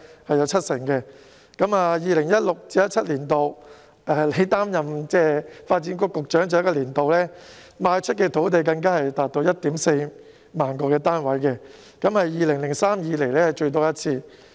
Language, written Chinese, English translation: Cantonese, 在 2016-2017 年度，亦即他擔任發展局局長的最後一個年度，賣出的土地更足以供應 14,000 個單位，是自2003年以來最多的一次。, In 2016 - 2017 the last year when he served as the Secretary for Development the sites sold were even sufficient for supplying 14 000 flats the largest supply since 2003